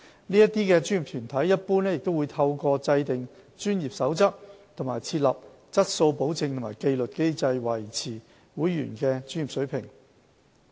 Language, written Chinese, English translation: Cantonese, 該些專業團體一般會透過制訂專業守則及設立質素保證和紀律機制，維持會員的專業水平。, The professional bodies usually formulate relevant codes of practice and develop quality assurance and disciplinary mechanisms to uphold the professional standards of their members